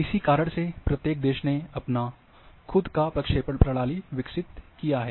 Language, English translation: Hindi, And therefore, each country has developed their own projection systems